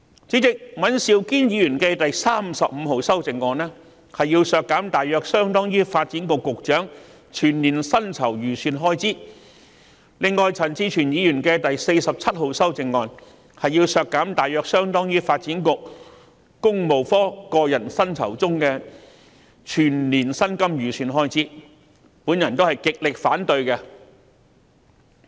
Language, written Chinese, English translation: Cantonese, 主席，尹兆堅議員提出第35號修正案，要求削減大約相當於發展局局長全年薪酬預算開支，而陳志全議員提出第47號修正案，要求削減大約相當於發展局個人薪酬中的全年薪金預算開支，我都極力反對。, 35 proposed by Mr Andrew WAN seeks to reduce an amount roughly equivalent to the annual estimated expenditure on the emoluments of the Secretary for Development whereas Amendment No . 47 proposed by Mr CHAN Chi - chuen seeks to reduce an amount roughly equivalent to the estimated expenditure on the annual personal emoluments for the Development Bureau Works Branch . I strongly oppose these amendments as well